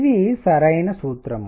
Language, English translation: Telugu, This is the correct formula